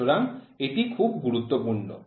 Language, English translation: Bengali, So, this is also very important